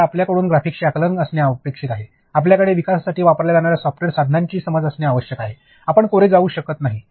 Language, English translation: Marathi, So, it is expected of you to have an understanding of graphics, you are expected to have an understanding of software tools which are used for development, you cannot go blank